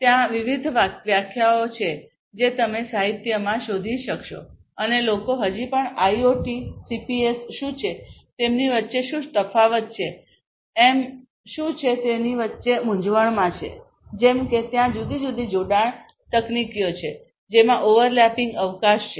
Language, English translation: Gujarati, There are different definitions that you will be able to find in the literature and people still confuse between what is IoT, what is CPS, what is the difference between them what is M2M like that you know there are different allied technologies which have overlapping scope and so on